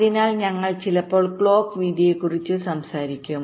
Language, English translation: Malayalam, so we sometimes talk about the clock width